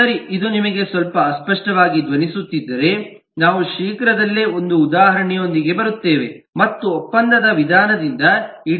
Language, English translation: Kannada, okay, if this is somewhat sounding difficult to you, sounding somewhat vague to you, we will soon come up with an example and explain this design by contract method